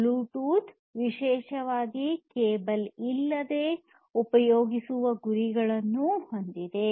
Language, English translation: Kannada, Bluetooth is particularly aimed at replacing the cables